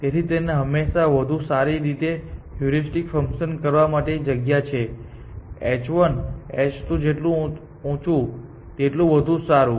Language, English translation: Gujarati, So, it always space to have a better heuristic function; the higher the h 1 h 2, the better